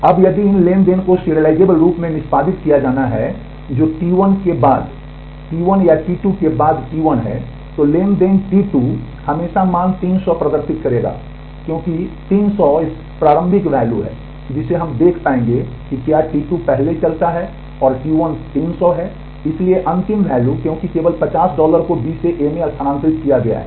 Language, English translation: Hindi, Now, if these transactions are executed serially that is T 1 after T 2 or T 2 after T 1, then the transaction T 2 will always display the value 300 because, 300s is the initial value that we will be able to see if T 2 runs first and T 1 300 is all so, the final value because only 50 dollar has been transferred from B to A